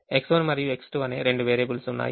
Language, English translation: Telugu, there are two variables: x one and x two